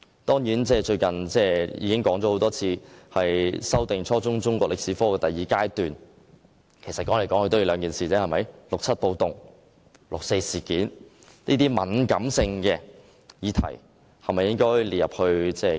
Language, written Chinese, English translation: Cantonese, 我最近多番指出，修訂初中中國歷史科的第二階段，主要針對應否將六七暴動及六四事件這兩個敏感議題納入課程之內。, Recently I often point out that in the second phase of revising the Chinese History subject for junior secondary forms the main focus is whether the two sensitive issues involving the riots in 1967 and the 4 June incident should be included in our curriculum